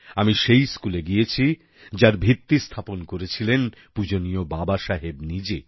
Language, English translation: Bengali, I went to the school, the foundation of which had been laid by none other than respected Baba Saheb himself